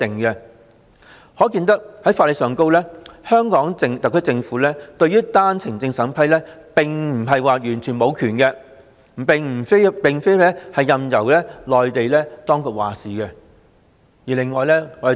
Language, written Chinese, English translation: Cantonese, "因此，從法律上而言，香港特區政府對單程證審批並不是完全沒有權力，並非任由內地當局作主的。, Hence from the legal perspective the Hong Kong SAR Government is not totally without power in vetting and approving OWP applications and it is not necessary to give the entire power to the Mainland authorities